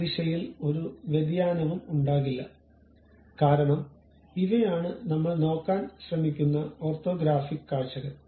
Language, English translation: Malayalam, There will not be any variation in that direction because these are the orthographic views what we are trying to look at